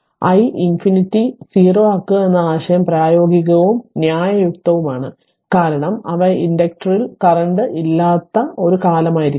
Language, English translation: Malayalam, So, the idea of making i minus infinity 0 is the practical and reasonable, because they are must be a time in the past when there was no current in the inductor